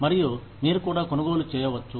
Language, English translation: Telugu, And, you can also buy it